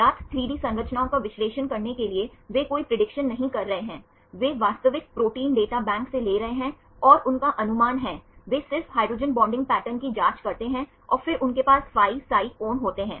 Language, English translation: Hindi, To analyze the known 3D structures they are not doing any prediction, they are taking the real structures from the protein data bank and they estimate, they just check the hydrogen bonding pattern and then they have the phi psi angles